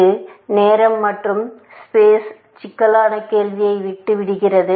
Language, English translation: Tamil, That leaves the question of time and space complexity